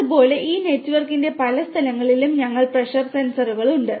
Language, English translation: Malayalam, Likewise we have the pressure sensors at many locations of this network